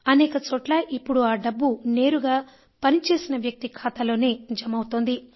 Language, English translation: Telugu, In many places the wages of the labourers is now being directly transferred into their accounts